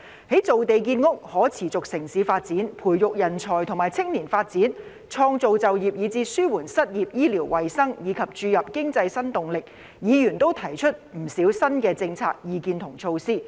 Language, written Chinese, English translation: Cantonese, 在造地建屋、可持續城市發展、培育人才和青年發展、創造就業以至紓緩失業、醫療衞生，以及注入經濟新動力方面，議員均提出不少新政策、意見和措施。, In respect of land creation for housing development sustainable city development nurturing talent and youth development creating employment and relieving unemployment medical and health services as well as injecting new impetus to the economy Members have put forward many new policies views and measures